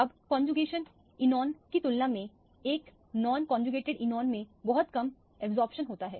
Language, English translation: Hindi, Now, compared to a conjugated enone, a non conjugated enone has a much lower absorption